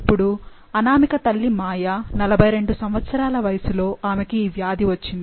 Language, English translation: Telugu, Now, Anamika’s mother Maya, at age of 42 she has developed the disease